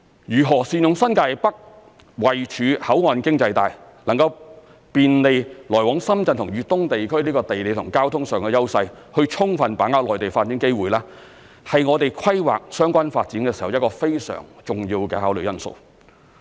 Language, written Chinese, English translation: Cantonese, 如何善用新界北位處口岸經濟帶，能夠便利來往深圳及粤東地區的地理及交通上的優勢，以充分把握內地發展機會是我們規劃相關發展時一個非常重要的考慮因素。, Due to its proximity to the Shenzhen Port Economic Belt New Territories North provides easy access to Shenzhen and the eastern part of Guangdong . Utilizing the geographical and transport advantages of New Territories North so as to fully grasp the development opportunities in the Mainland is a vital consideration in our planning for relevant developments